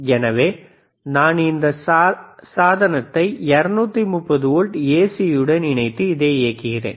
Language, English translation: Tamil, So, I have connected this right device to the 230 volts AC and I am switching it on